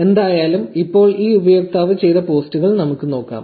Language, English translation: Malayalam, Anyway, so now, let us look at the posts that this user has done